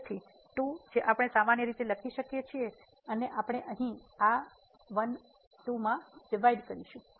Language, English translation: Gujarati, So, the 2 we can take common and we will divide to this 12 here